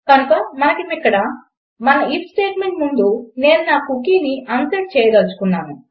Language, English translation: Telugu, So lets say over here just before our if statement, I wish to unset my cookie